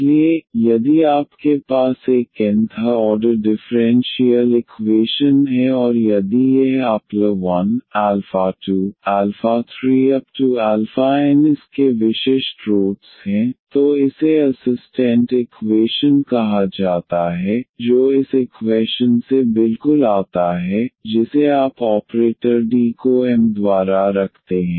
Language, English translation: Hindi, So, if you have a nth order differential equation and if this alpha 1 alpha, 2 alpha, 3 alpha n are the distinct rots of this so called the auxiliary equation which coming exactly from this equation you placing the operator d by m